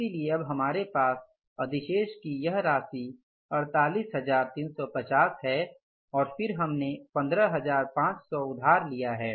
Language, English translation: Hindi, So now we have left with this amount of surplus that is 48,450 and we have borrowed how much, 15,500s